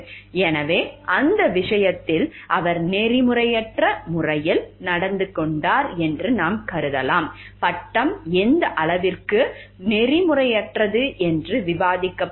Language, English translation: Tamil, So, in that case maybe we can consider he has acted in an unethical way, the degree can be debated like to what extent it was unethical and all